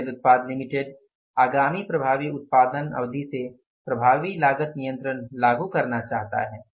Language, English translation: Hindi, Axel Products Limited wishes to introduce effective cost control from the ensuing production period